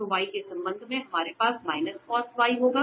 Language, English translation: Hindi, So, with respect to y we will have minus cos y